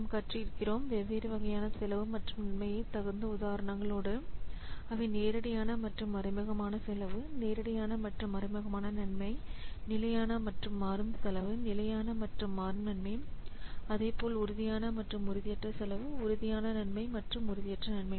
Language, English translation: Tamil, We have learnt the different types of costs and benefits with suitable examples such as we have seen this direct cost versus indirect cost, direct benefits versus indirect benefits, fixed cost versus variable cost, fixed benefits versus variable benefits